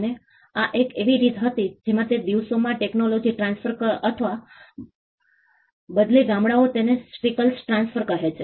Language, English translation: Gujarati, And this was a way in which technology transfer or rather villages call it skill transfer happened in those days